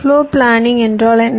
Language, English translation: Tamil, floorplanning: what does it mean